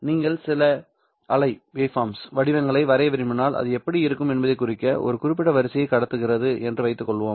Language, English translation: Tamil, If you were to draw some waveforms to indicate how it would look, let us assume that I am transmitting this particular sequence